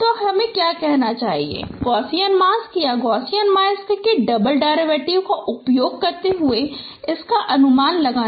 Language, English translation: Hindi, So I should say tricks which is used approximating convolutions using Gaussian masks or double derivatives of Gaussian masks